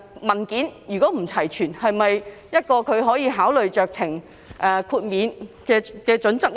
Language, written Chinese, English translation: Cantonese, 文件不齊全又是否酌情豁免的考慮因素呢？, Is incomplete documentation also a factor of consideration for discretionary exemption?